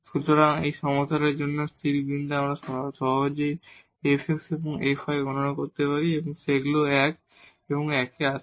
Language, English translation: Bengali, So, the stationary point for this problem we can easily compute f x and f y and they come to be 1 and 1